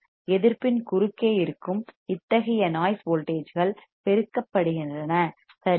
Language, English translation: Tamil, Such noise voltages present across the resistance are amplified right